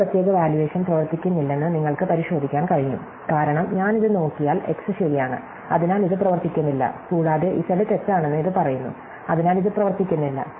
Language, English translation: Malayalam, You can check that this particular evaluation does not work, because if I look at this it such that x is true, so this does not work and it says that z is false, so it does not works